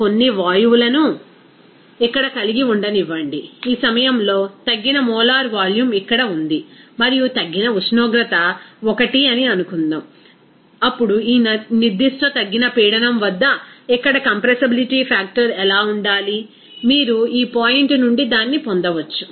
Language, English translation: Telugu, Let us have these some gases here, suppose this reduced molar volume is here at this point and also that reduced temperature is 1, then at this particular reduced pressure, what should be the compressibility factor here it will you can get it from this point